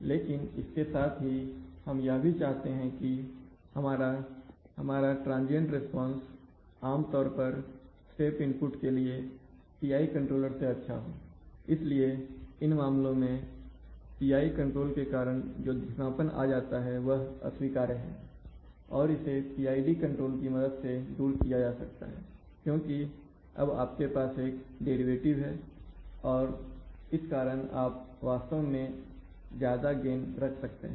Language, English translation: Hindi, But we also at the same time, we want that, that my transient response typically to a step input is better than the PID controller, so in such a case this slow down by the PI controller which is unacceptable that can often be realized using a PID control because of the fact that you have a derivative term and because of that you can actually have larger gains